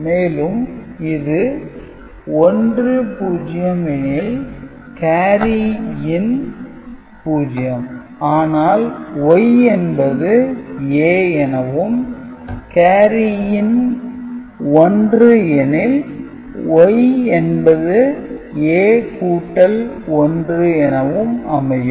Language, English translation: Tamil, And for 1 0, if carry in is 0, Y is equal to A and if carry in is equal to 1, this is A plus 1